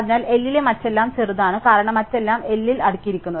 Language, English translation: Malayalam, Therefore, smaller everything else in L, because everything else in L is sorted with respect to this